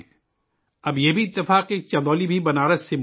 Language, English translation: Urdu, Now it is also a coincidence that Chandauli is also adjacent to Banaras